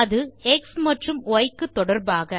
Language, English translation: Tamil, that is with respect to x and y